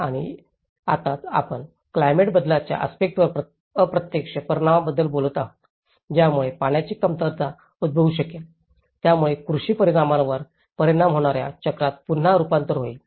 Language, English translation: Marathi, And now, that is where we are talking about the indirect impact on the climate change aspects, which may result in the shortage of water, which will again turn into a cycle of having an impact on the agricultural impacts